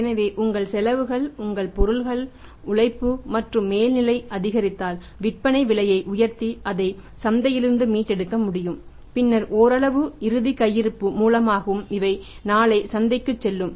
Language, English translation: Tamil, So, if your expenses increase your cost of material labour and overheads increase you should be able to recover that from the market by increasing your selling price right and then partly through the closing stock also which will go to the market tomorrow